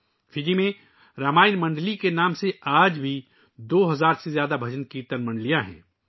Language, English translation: Urdu, Even today there are more than two thousand BhajanKirtan Mandalis in Fiji by the name of Ramayana Mandali